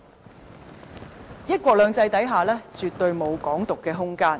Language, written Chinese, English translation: Cantonese, 在"一國兩制"下絕對沒有"港獨"的空間。, There is absolutely no room for Hong Kong independence under one country two systems